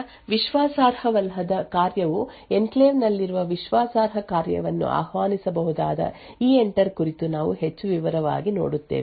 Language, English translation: Kannada, So, we look more in detail about EENTER where untrusted function could invoke a trusted function which present in the enclave